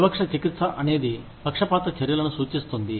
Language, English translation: Telugu, Disparate treatment refers to, prejudiced actions